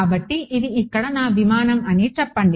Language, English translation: Telugu, So, let us say this is my aircraft over here